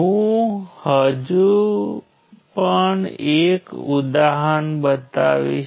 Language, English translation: Gujarati, I will show you just one other example